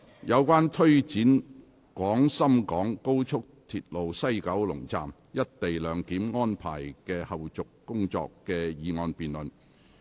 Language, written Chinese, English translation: Cantonese, 有關推展廣深港高速鐵路西九龍站"一地兩檢"安排的後續工作的議案辯論。, The motion debate on Taking forward the follow - up tasks of the co - location arrangement at the West Kowloon Station of the Guangzhou - Shenzhen - Hong Kong Express Rail Link